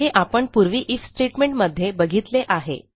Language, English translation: Marathi, Weve seen this in the IF statement before